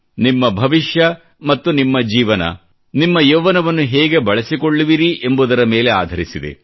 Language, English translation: Kannada, Your life & future entirely depends on the way your utilized your youth